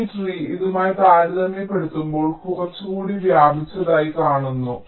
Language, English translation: Malayalam, so you see, this tree looks like be less spread as compared to this